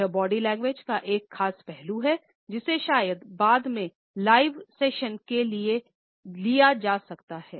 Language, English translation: Hindi, This is one particular aspect of body language, which perhaps can be taken later on in live sessions